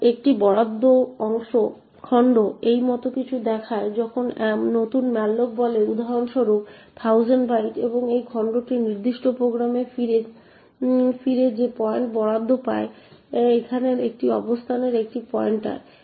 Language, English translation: Bengali, So an allocated chunk looks something like this when new malloc say for example 1000 bytes and this chunk gets allocated the point that gets return to the particular program is a pointer to this location over here